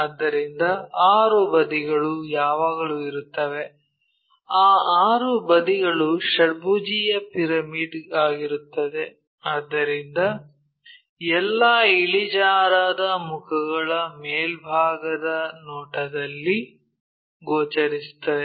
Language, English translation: Kannada, So, 6 sides are always be there, those 6 sides is a hexagonal pyramid, so all the inclined faces will be visible in the top view